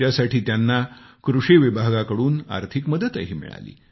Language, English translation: Marathi, For this, he also received financial assistance from the Agricultural department